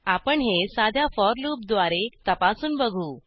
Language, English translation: Marathi, We will test this with the help of a simple for loop